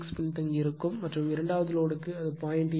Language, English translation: Tamil, 6 lagging , and the for second load also it is your 0